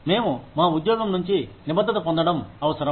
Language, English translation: Telugu, We need to get commitment from our employees